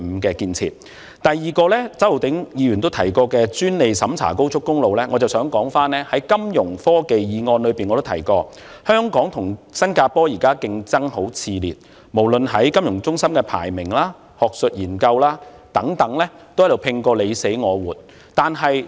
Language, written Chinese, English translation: Cantonese, 我在"推動金融科技中心發展，鞏固本港的國際金融中心地位"議案亦曾提及，香港和新加坡現在競爭很熾烈，無論在國際金融中心排名、學術研究等方面，都拼個你死我活。, As I have mentioned in my motion on Promoting the development of a financial technology hub to reinforce Hong Kongs position as an international financial centre Hong Kong and Singapore are competing ferociously for supremacy as a global financial centre and in academic research